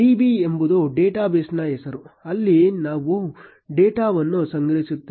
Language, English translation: Kannada, Db is the name of the database where we will store the data